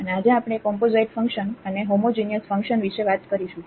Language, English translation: Gujarati, And, today we will be discussing about a Composite Functions and Homogeneous Functions